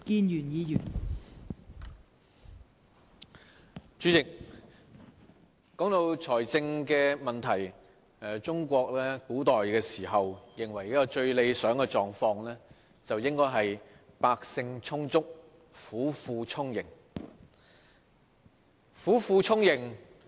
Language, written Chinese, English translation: Cantonese, 代理主席，談到財政問題，中國古時認為一個最理想的狀況，應該是百姓充足，府庫充盈。, Deputy President when it comes to fiscal matters the ancient Chinese believed that it would be most ideal if the common people had sufficient resources and the states coffers were filled to overflowing